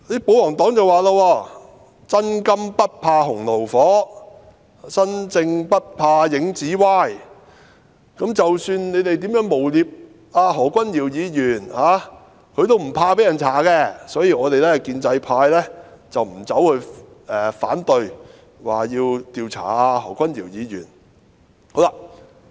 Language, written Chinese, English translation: Cantonese, 保皇黨說："'真金不怕洪爐火'，'身正不怕影子歪'，無論你們如何誣衊何君堯議員，他也不怕被人調查，所以，我們建制派沒有反對調查何君堯議員"。, The royalist camp stated A person of integrity can stand severe tests . A clean hand wants no washing . Dr Junius HO is not afraid of being investigated for whatever defamatory allegations you people made against him so they the pro - establishment camp do not oppose investigating Dr Junius HO